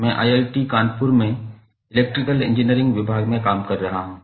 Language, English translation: Hindi, I am working with department of electrical engineering at IIT Kanpur